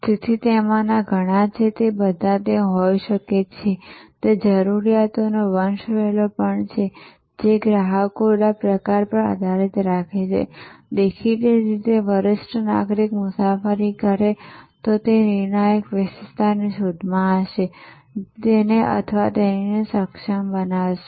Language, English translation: Gujarati, So, there are a whole lot of them, they all can be there are, there also there is a hierarchy of needs, that will be met and depending on the type of customers; obviously a senior citizen travels will be alone looking for that determinant attribute, which enables him or her